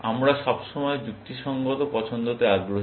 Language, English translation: Bengali, We are always interested in rational choice, remember